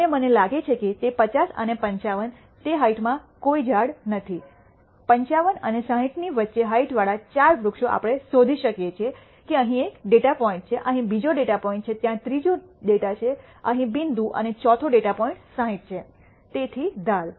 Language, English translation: Gujarati, And I find between 50 and 55 there are no trees within that height, we find 4 trees with the height between 55 and 60 which we can easily see there is one data point here, there is second data point here, there is a third data point here and fourth data point is 60; so, the edge